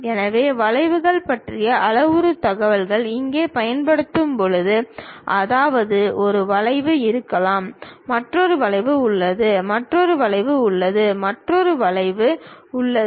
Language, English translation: Tamil, So, where parametric information about curves we will use; that means, there might be a curve, there is another curve, there is another curve, there is another curve